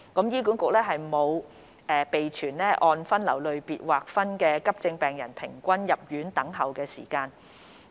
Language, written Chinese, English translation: Cantonese, 醫管局沒有備存按分流類別劃分的急症室病人平均入院等候時間。, HA does not maintain breakdown of the average waiting time for admission of AE patients by triage category